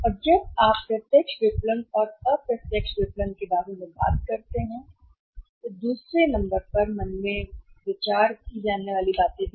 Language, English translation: Hindi, And when you talk about the direct marketing and indirect marketing there are number of other things also to be to be considered in mind